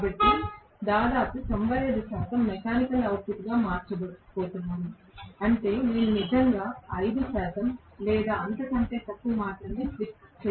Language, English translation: Telugu, So, I am going to have almost 95 percent being going into being converted into mechanical output, which means I am going to have actually slip to be only about 5 percent or even less